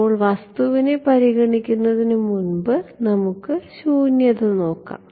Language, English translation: Malayalam, Now, if I consider the object well before I come to object let us look at vacuum